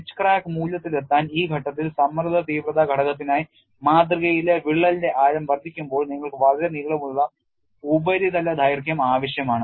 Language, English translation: Malayalam, When the depth of the crack in the specimen increases for the stress intensity factor at this point to reach the edge crack value, you need to have a very long surface length